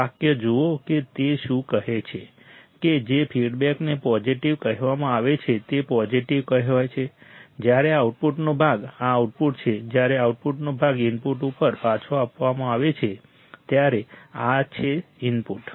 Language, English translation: Gujarati, Right, see the sentence what it says that the feedback the feedback is said to be positive is said to be positive when the part of the output, this is output right, when the part of the output is fed back to the input, this is the input right